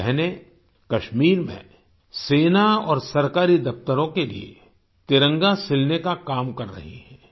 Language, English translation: Hindi, In Kashmir, these sisters are working to make the Tricolour for the Army and government offices